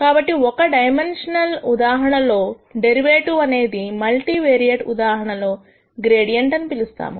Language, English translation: Telugu, So, the derivative in a single dimensional case becomes what we call as a gradient in the multivariate case